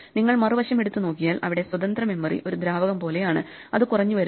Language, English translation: Malayalam, If you take the flip side and you look at the free memory you think of the free memory as a fluid then the free memory is shrinking